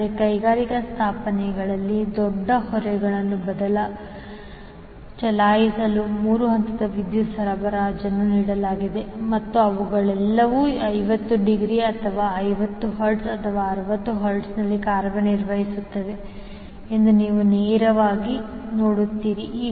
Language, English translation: Kannada, But in industrial establishment, you will directly see that 3 phase power supply is given to run the big loads and all these operating either at 50 degree or 50 hertz or 60 hertz